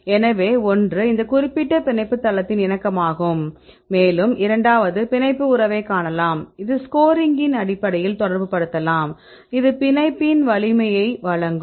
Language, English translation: Tamil, So, one is the pose the conformation of this particular binding site, and the second one you can see the binding affinity, we can relate in terms of a score which will give you the strength of the binding